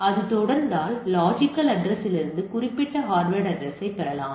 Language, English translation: Tamil, If it is continuing that particular hardware address from the logical address can be derived